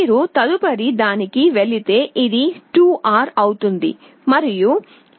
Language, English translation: Telugu, If you move to the next one this will be 2R and this is 6R